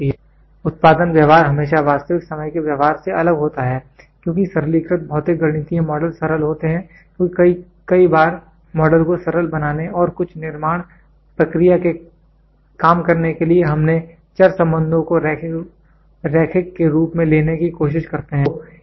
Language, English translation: Hindi, The theoretical production behaviour is always different from a real time behaviour, as simplified physical mathematical models because many a times to simplify the model and working of some manufacturing process we tried to take variable relationship as linear